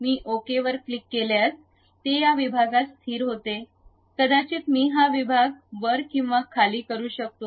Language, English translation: Marathi, If I click Ok it settles at this section, perhaps I would like to really make this section up and down